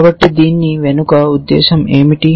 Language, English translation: Telugu, So, what is the intention behind this